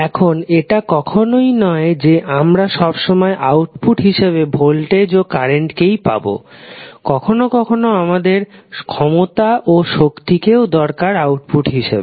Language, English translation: Bengali, Now, it is not that we always go with voltage and current as an output; we sometimes need power and energy also as an output